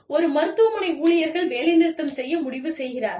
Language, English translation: Tamil, Or, one hospital, decides to go on strike